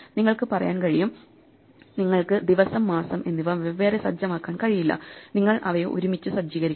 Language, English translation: Malayalam, So you can say, you cannot set the day separately and the month separately, you must set them together